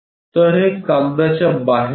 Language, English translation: Marathi, So, this is out of paper